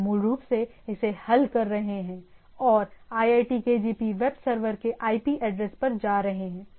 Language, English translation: Hindi, We are basically resolving it and going to a IP address of the iitkgp web server